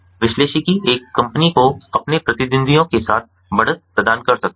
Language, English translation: Hindi, analytics can provide a company with an edge over their competitors